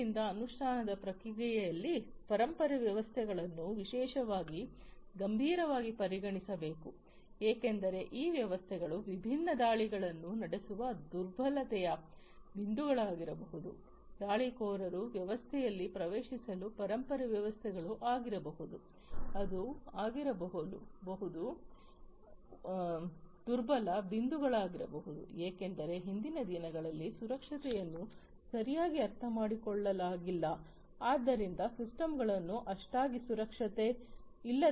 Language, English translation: Kannada, So, legacy systems particularly should be taken seriously in the in the in the process of implementation because these systems might be the points of vulnerability for launching different attacks, for the attackers to get into the system the legacy systems could be the ones, which could be the vulnerable points because those days earlier days security was not well understood systems were designed not to be always secured and so on